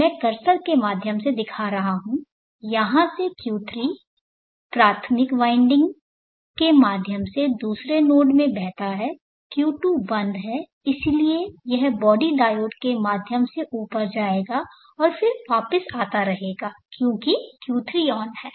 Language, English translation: Hindi, I am showing through the cursor from here Q3 through the primary winding flows to the other node, Q2 is off therefore it will go up through the body diode and then keeps coming back because Q3 is on